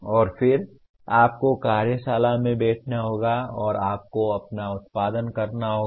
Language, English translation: Hindi, And then you have to sit in the workshop and you have to produce your own